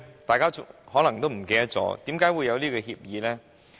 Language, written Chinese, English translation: Cantonese, 大家可能已忘記，為甚麼會有這協議呢？, We may have forgotten why there is such an agreement